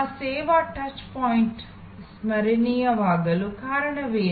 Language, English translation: Kannada, What made that service touch point memorable